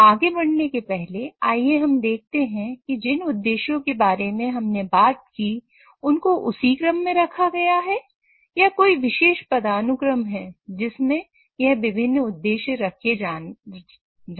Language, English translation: Hindi, So, before moving forward, let us see whether these objectives which we talked about are all these objectives taken care of in the same order or there is a special hierarchy in which these different objectives have to be satisfied